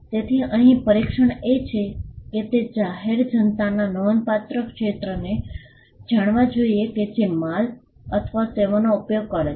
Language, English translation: Gujarati, So, the test here is that it should be known to the substantial segment of the public which uses the goods or services